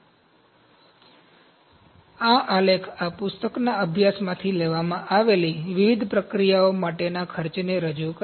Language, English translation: Gujarati, So this chart represents the cost for different processes taken from a study from this book